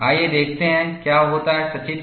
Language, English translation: Hindi, Let us see, what happens pictorially